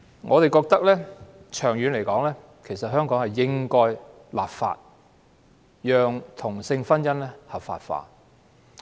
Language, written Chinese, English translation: Cantonese, 我們認為，長遠而言香港應該立法，讓同性婚姻合法化。, We hold that Hong Kong should in the long run legislate to legalize same - sex marriage